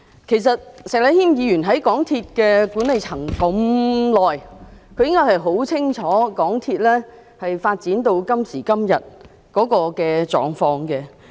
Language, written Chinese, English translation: Cantonese, 其實，石禮謙議員在港鐵公司的管理層這麼久，他應該很清楚港鐵公司發展到今時今日的狀況。, In fact Mr Abraham SHEK has been in the management of MTRCL for such a long time he should know very well the current state of MTRCL